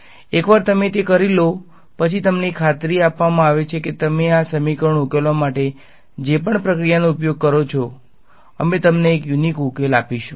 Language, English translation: Gujarati, Once you do that you are guaranteed that whatever procedure you use for solving these equations, we will give you a unique solution